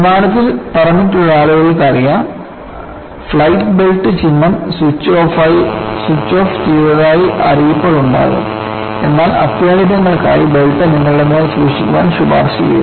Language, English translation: Malayalam, There would be announcements the flight belt sign is switched off, but it is recommended that you keep the belt on you for emergencies